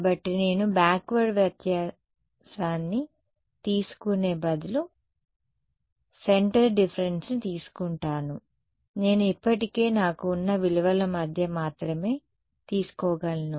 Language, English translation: Telugu, So, I am saying instead of taking the backward difference I take centre difference centre difference I can only take between the values that I already have right